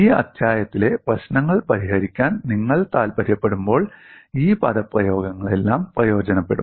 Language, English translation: Malayalam, All these expressions will come in handy, when you want to solve problems in this chapter